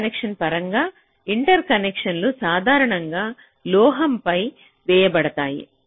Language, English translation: Telugu, inter connections are typically laid out on metal